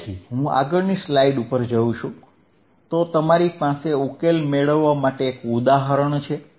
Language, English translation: Gujarati, So, if I go on the next slide, then you have an example to solve